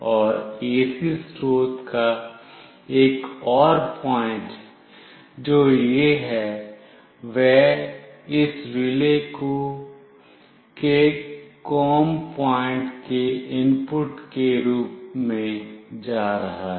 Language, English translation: Hindi, And another point of the AC source, which is this one is going to as an input to the COM point of this relay